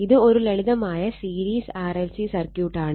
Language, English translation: Malayalam, So, this is a simple series RLC circuit